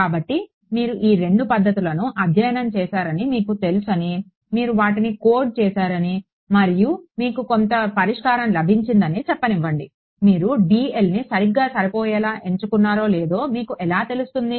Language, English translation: Telugu, So, let us say you have you know you studied these two methods you coded them up and you got some solution; how do you know whether you chose a dl to be fine enough or not